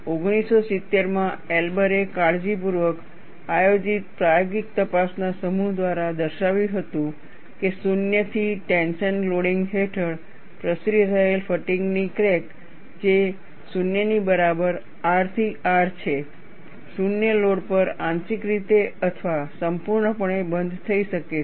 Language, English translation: Gujarati, Elber in 1970 demonstrated through a set of carefully planned experimental investigations, that a fatigue crack propagating under zero to tension loading, that is R to R equal to 0, might be partially or completely closed at zero load